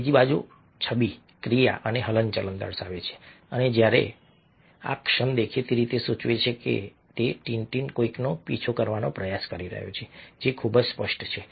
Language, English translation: Gujarati, ok, the second image, on the other hand, shows a action and movement and, whereas this moment obviously indicates that he is tin, tin is trying to chase somebody, which is very obvious